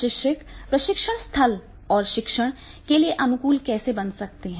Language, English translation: Hindi, How trainers can make the training site and instructions conducive to learning